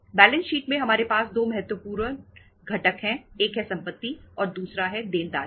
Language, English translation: Hindi, In the balance sheet we have 2 important components; one is the asset and other is the liabilities